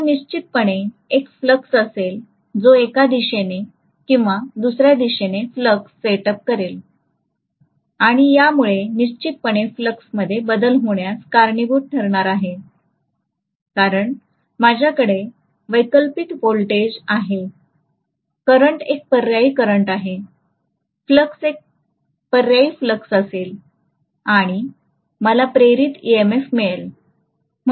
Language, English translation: Marathi, Now definitely there will be a flux that will be set up, there will be a flux setup in one direction or the other and that is definitely going to cause a rate of change of flux because I am having an alternating voltage, the current will be an alternating current, the flux will be an alternating flux and I will have an induced EMF